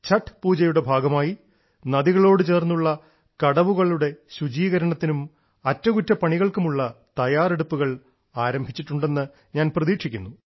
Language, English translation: Malayalam, I hope that keeping the Chatth Pooja in mind, preparations for cleaning and repairing riverbanks and Ghats would have commenced